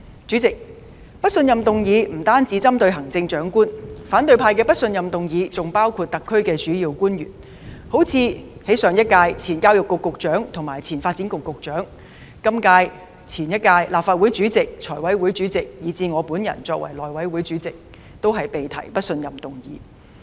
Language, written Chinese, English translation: Cantonese, 主席，不信任議案不單針對行政長官，反對派的不信任議案還包括特區政府的主要官員，例如前教育局局長及前發展局局長、上屆及本屆立法會主席、財務委員會主席，以至我作為內務委員會主席，均被提出不信任議案。, President the Chief Executive is not the only target of a motion of no confidence . The targets of the motions of no confidence proposed by the opposition camp also include the principal officials of the SAR Government such as the former Secretary for Education and the former Secretary for Development the last and incumbent Presidents of the Legislative Council the Chairman of the Finance Committee and me as Chairman of the House Committee all of whom having been subject to a motion of no confidence